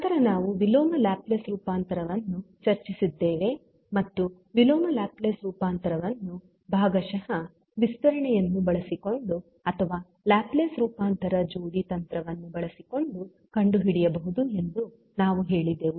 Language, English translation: Kannada, Then we discussed the inverse Laplace transform and we said that the inverse Laplace transform can be found using partial fraction expansion or using Laplace transform pairs technique